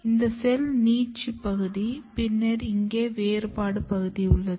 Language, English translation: Tamil, And this is the region of cell elongation and then here is the differentiation